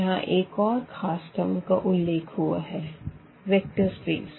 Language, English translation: Hindi, So, again one more term here the vector space has come